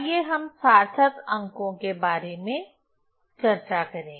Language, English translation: Hindi, So, let us discuss about the significant figures